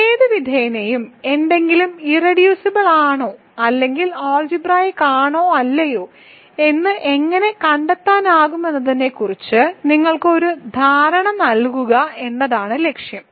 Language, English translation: Malayalam, So, and any way the hope right now is to just give you an idea of how to find whether something is irreducible or something is algebraic or not and try to find it is irreducible polynomial